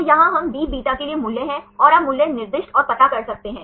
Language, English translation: Hindi, So, here we have the values for Bβ and you can assign the values and find out